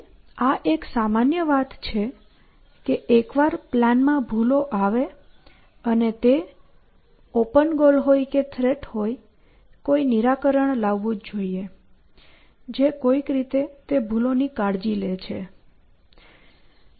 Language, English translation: Gujarati, And this is the general flavor that once I have flaws in my plan and the flaw should be either open goal or a threat, I must produce a solution for the flaw which is to say somehow takes care of that flaw essentially